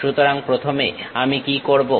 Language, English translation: Bengali, So, first what I will do